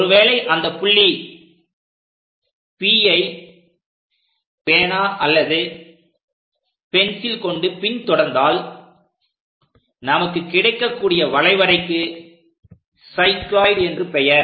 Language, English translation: Tamil, So, if we are tracking or keeping a pencil or pen on that point P whatever the track we are going to get that is what we call cycloid